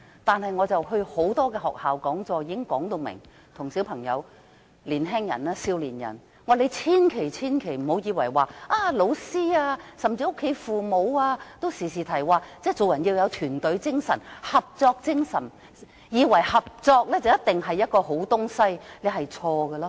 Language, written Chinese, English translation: Cantonese, 但我到各間學校出席講座時，已向小朋友和年青人說明，千萬不要因為經常聽到老師甚至家中父母說做人要有團隊精神和合作精神，便以為合作一定是好東西，這是錯誤的。, However when I attended seminars in various schools I made it clear to the children and youngsters that they should never misunderstand that cooperation must be something good simply because they often heard their teachers or even parents say that we have got to have team spirit and the spirit of cooperation . This is wrong